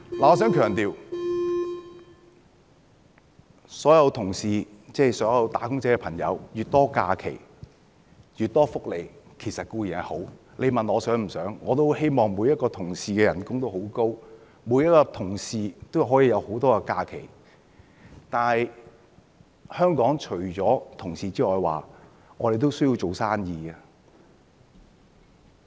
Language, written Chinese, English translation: Cantonese, 我想強調，所有"打工仔"有越多假期、越多福利固然是好，你問我想不想，我也很希望每個僱員的薪酬都很高，每個僱員都有很多假期，但是，香港除了僱員外，也需要做生意。, I would like to stress that wage earners getting more leave and more benefits is certainly a nice thing . If you ask me whether I wish so I will say I also hope that employees can get higher pay and more leave . However apart from attending to employees Hong Kong also has to do business